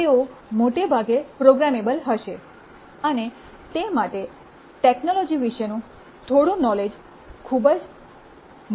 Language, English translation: Gujarati, They will mostly be programmable and for that some knowledge about technology is very important